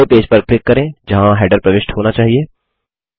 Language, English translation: Hindi, First click on the page where the header should be inserted